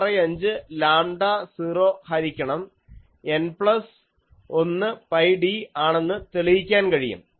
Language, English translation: Malayalam, 65 lambda 0 by N plus 1 pi d